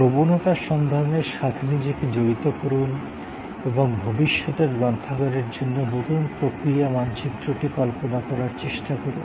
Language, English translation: Bengali, Engage yourself with trends spotting and try to visualize the new process map for the library of the future